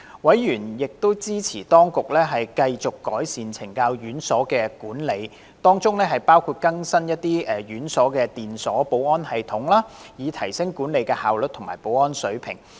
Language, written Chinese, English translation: Cantonese, 委員亦支持當局繼續改善懲教院所的管理，當中包括更新這些院所的電鎖保安系統，以提升管理效率及保安水平。, Members also supported the continual efforts made by the Administration to enhance the management of correctional institutions including the installation of new electronic locks security system in these institutions thereby enhancing the efficiency of institutional management and level of security